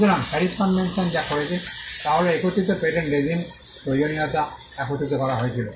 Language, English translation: Bengali, So, but what the PARIS convention did was it brought together the need for having a harmonized patent regime